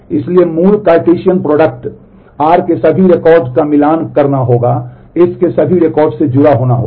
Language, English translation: Hindi, So, the basic Cartesian product is all records of r will have to be matched will have to be connected to all record of s